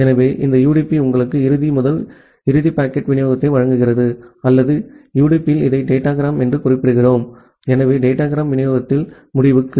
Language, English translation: Tamil, So, this UDP just provide you the end to end packet delivery or in UDP we term it as the datagram; so end to end in datagram delivery